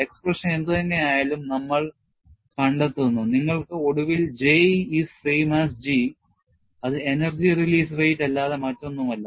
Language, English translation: Malayalam, And, we find, whatever the expression you finally get for J, is same as G, which is nothing, but the energy release rate